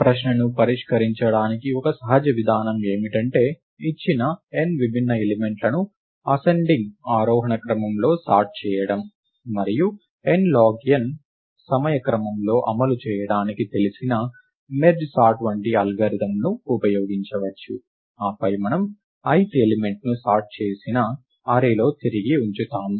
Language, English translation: Telugu, One natural approach to solve the question is to sort the given n distinct elements in ascending order, and one can use an algorithm like merge sort which is known to run in order of n log n time, and then we return the ith element in the sorted array